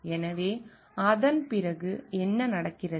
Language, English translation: Tamil, So, after that what happens